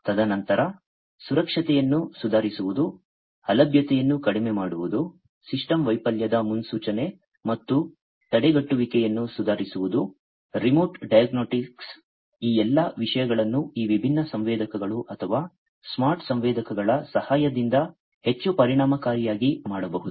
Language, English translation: Kannada, And then improving safety, minimizing downtime, improving the prediction and prevention of system failure, remote diagnostics, all of these things can be done, in a much more efficient manner, with the help of use of these different sensors or, smart sensors